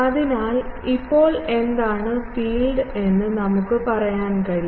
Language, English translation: Malayalam, So, now, we can say that what is the field